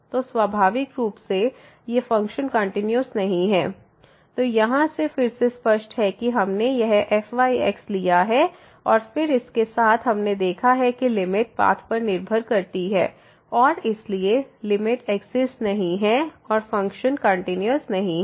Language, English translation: Hindi, So, naturally these functions are not continuous, which is clear again from here we have taken this and then along this path we have seen that the limit depends on path and hence the limit does not exist and the function is not continuous